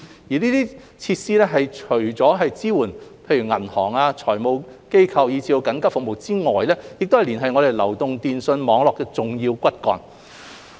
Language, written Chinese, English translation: Cantonese, 這些設施除了支援銀行、財務機構及緊急服務之外，亦是連繫我們流動電訊網絡的重要骨幹。, Apart from providing support for banks financial institutions and emergency services these facilities are also core to connecting our mobile networks